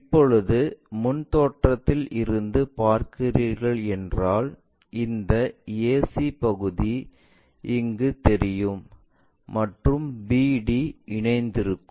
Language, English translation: Tamil, Now, in the front view if you are looking from this side, only this ac portion we will be in a position to see where bd are mapped